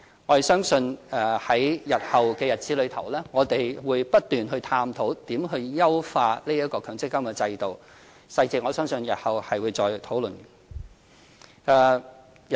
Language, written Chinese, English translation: Cantonese, 我們相信在日後的日子裏，我們會不斷探討如何優化強積金制度，我相信日後會再討論細節。, I believe we will continuously explore ways to optimize the MPF System in future . We will further discuss the details then